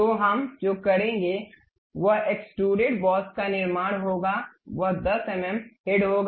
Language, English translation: Hindi, So, what we will do is construct extruded boss it will be 10 mm head